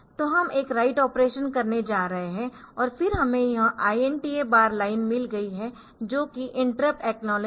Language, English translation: Hindi, So, we are going to do a write operation and then we have got this INTR bar line that is the interrupt acknowledge